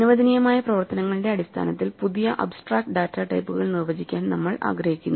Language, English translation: Malayalam, So, we want to define new abstract data types in terms of the operations allowed